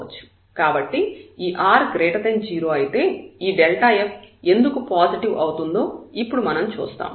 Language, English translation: Telugu, So, if this r is positive, we will see now here that delta f will be positive why